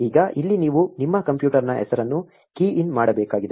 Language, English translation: Kannada, Now, this is where you need to key in the name of your computer